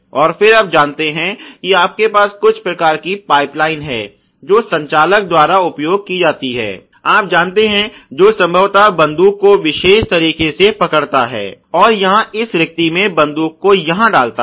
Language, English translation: Hindi, And then you know you have some kind of a pipe line which is used by the operator who probably holds the, you know gun in this particular manner ok and inserts the gun into this gap right here ok